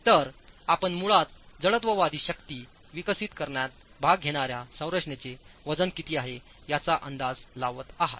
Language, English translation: Marathi, So, you are basically making an estimate of the weight of the structure that will participate in developing inertial forces